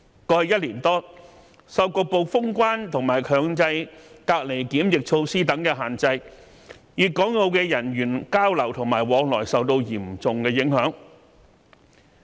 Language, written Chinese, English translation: Cantonese, 過去1年多，受局部封關及強制隔離檢疫措施等限制，粵港澳的人員交流及往來受到嚴重影響。, Over the past one year or so the exchange and flow of people among Guangdong Hong Kong and Macao have been severely affected by the partial closure of boundary control points compulsory isolation and quarantine measures